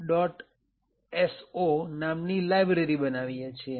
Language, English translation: Gujarati, o and then create our library